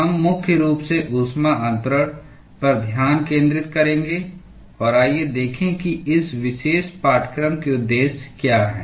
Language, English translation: Hindi, We will focus primarily on heat transfer and let us look at what are the objectives of this particular course